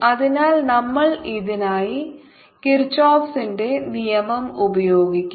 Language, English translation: Malayalam, so we will use kirchhoff's law for this